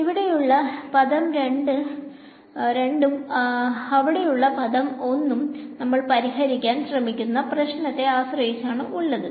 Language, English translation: Malayalam, Term 2 here and term 1 there depends on the problem that you are trying to solve